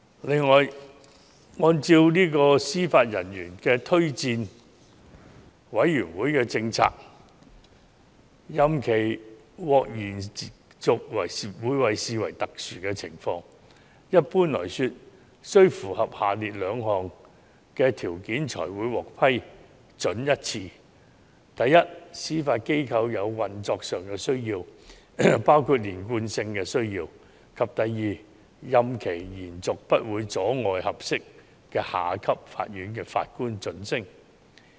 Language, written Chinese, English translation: Cantonese, 此外，按照司法人員推薦委員會的政策，任期獲延續會被視為特殊情況，一般來說須符合下列兩項條件才會獲得批准：第一，司法機構有運作上的需要，包括連貫性的需要；第二，任期延續不會阻礙合適的下級法院法官晉升。, In addition according to the policy of the Judicial Officers Recommendation Commission extension of the term of judicial office should be regarded as exceptional and would not normally be approved unless the following two conditions are met . First the Judiciary has operational needs including the need for continuity; and second the extension would not hinder the advancement of junior officers who are suitable for elevation